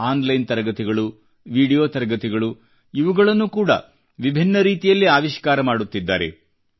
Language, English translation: Kannada, Online classes, video classes are being innovated in different ways